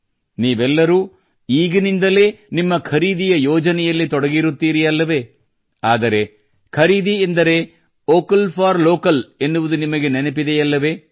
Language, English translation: Kannada, All of you must have started planning for shopping from now on, but do you remember, shopping means 'VOCAL FOR LOCAL'